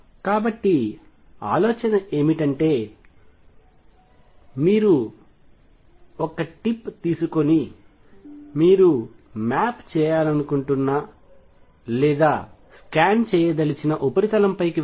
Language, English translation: Telugu, So, ideas is again that you take a tip, a small tip and make it go over a surface that you want to map or scan